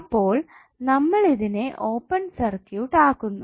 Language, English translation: Malayalam, So we will simply make it open circuit